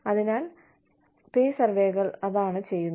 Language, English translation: Malayalam, So, that is what, pay surveys do